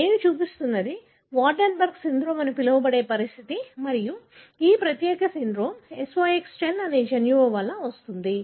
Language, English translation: Telugu, What I am showing is a condition called as Waardenburg syndrome and this particular syndrome is caused by a gene called SOX10